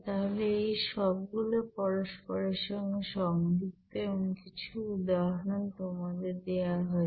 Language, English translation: Bengali, So all are related to each other and some examples are given to you